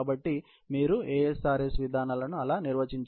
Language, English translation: Telugu, So, that is how you define the ASRS mechanisms